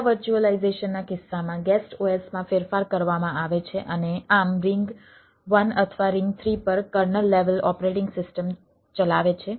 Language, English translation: Gujarati, in case of para virtualization, guest os is modified and thus run kernel level operating system at ring one or ring three